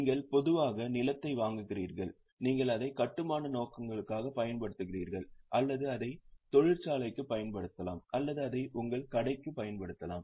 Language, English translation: Tamil, You buy land generally you use it for construction purposes or you may use it for factory or you may use it for your shop